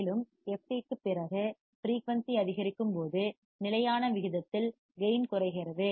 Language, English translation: Tamil, And after the fc, gain decreases at constant rate as the frequency increases